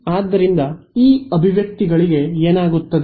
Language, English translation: Kannada, So, what happens to these expressions